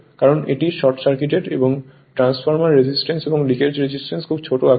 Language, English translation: Bengali, Because it is short circuited, it is short circuited right and transformer resistance and leakage reactance is very very small size right